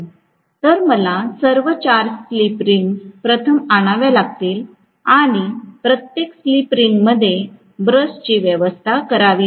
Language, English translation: Marathi, So, I have to bring out first of all 4 slip rings and every slip ring will have a brush arrangement